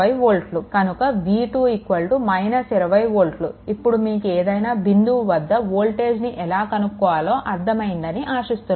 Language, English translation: Telugu, So, ultimately it is minus 20 volt hope you understood how to compute the voltage at any point right